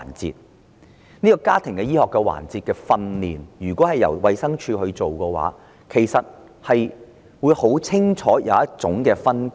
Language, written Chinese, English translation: Cantonese, 如果家庭醫學環節的訓練由衞生署負責，便會有清晰分工。, If the training in family medicine is handled by DH there will be a clearer division of labour